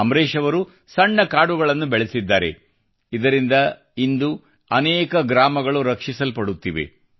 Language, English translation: Kannada, Amreshji has planted micro forests, which are protecting many villages today